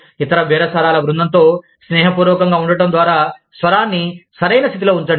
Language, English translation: Telugu, Set the tone by, being friendly to the other bargaining team